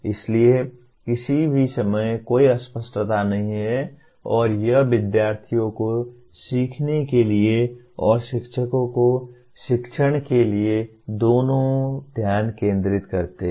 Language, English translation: Hindi, So there is no ambiguity at any time and it provides both focus to students for learning and to teachers for teaching